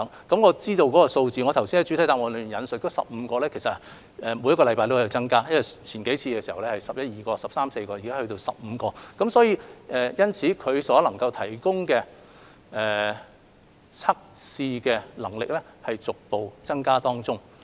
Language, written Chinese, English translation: Cantonese, 據我所知道的數字，我剛才在主體答覆引述15間，但其實每星期都在增加，之前是十一二間、十三四間，現在已增至15間，所以，它們所提供的測試能力正在逐步增加。, As to the figures I have at hand I mentioned in the main reply that there were 15 laboratories but actually the figures were rising constantly . Some time ago there were just 11 or 12 or 13 to 14 laboratories now we have 15 laboratories